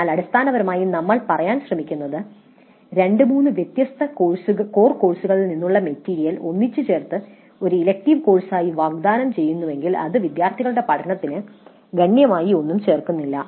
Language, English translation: Malayalam, But what essentially we are trying to say is that if the material from two three different core courses is simply clapped together and offered as an elective course, it does not add substantially to the learning of the students